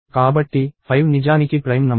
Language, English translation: Telugu, So, 5 is actually prime